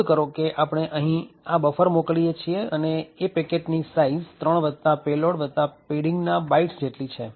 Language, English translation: Gujarati, Note that, we are sending the buffer here and the size of this particular packet is 3 plus payload plus the padding